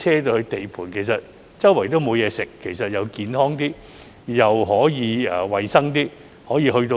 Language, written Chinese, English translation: Cantonese, 地盤周圍沒有東西吃，這樣既健康點，又可以衞生點。, As food is not available in the vicinity of the sites the workers can then eat in a healthier and more hygienic way